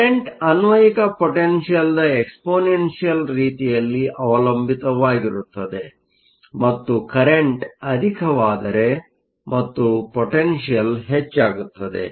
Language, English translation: Kannada, So, the current depends exponentially on the applied potential and higher the current and the higher the potential, higher the current